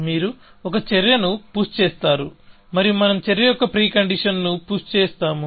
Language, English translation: Telugu, So, you push an action and we push the pre conditions of the action